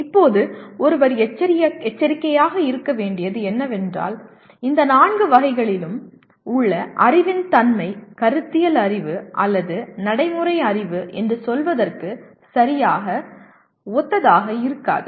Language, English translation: Tamil, Now what one should be cautious about, the nature of knowledge in these four categories will not be exactly similar to let us say conceptual knowledge or procedural knowledge